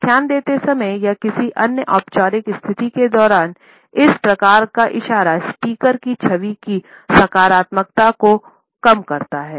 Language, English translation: Hindi, While delivering a lecture or during any other formal situation, this type of a gesture diminishes the positivity of the speakers image